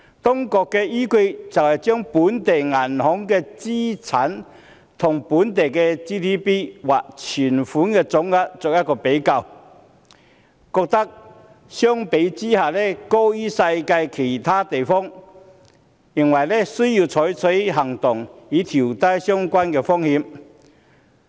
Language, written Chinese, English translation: Cantonese, 當局的依據是，將本地銀行的資產與本地的 GDP 或存款總額作比較，發現相關的比率高於世界其他地方，需要採取行動，以調低相關的風險。, The authorities find that in terms of local banking assets to GDP ratio Hong Kong is higher than other international financial markets thus justifying the need to take action and minimize the relevant risks